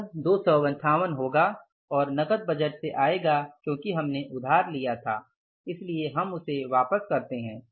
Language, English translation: Hindi, 258 dollars which will come from where cash budget because we borrowed